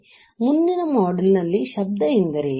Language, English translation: Kannada, So, in the next module, let us see, what is noise